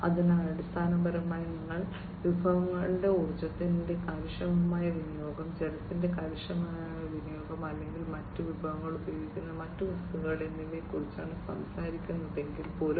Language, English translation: Malayalam, So, basically, you know, even if you are talking about resources, efficient utilization of energy, efficient utilization of water, or other resources, and other materials that are used